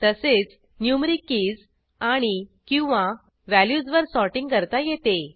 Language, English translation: Marathi, Sorting can also be done on numeric keys and/or values